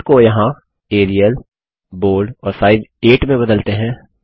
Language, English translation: Hindi, Let us change the fonts here to Arial, Bold and Size 8